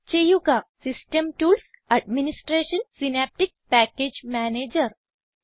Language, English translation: Malayalam, Click on System tools, Administration and Synaptic Package Manager